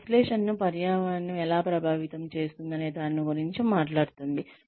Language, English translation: Telugu, It just talks about, how the environment affects the analysis